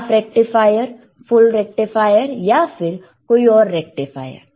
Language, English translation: Hindi, hHalf a rectifier, full a rectifier, is there or another rectifiers